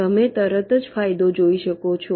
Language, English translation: Gujarati, the advantage you can immediately see